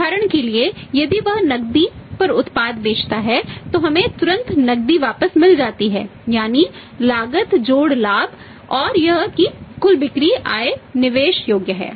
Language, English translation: Hindi, For example if he sell the product on cash we get the cash back immediately that is a cost plus profit and that that total sales proceeds are investable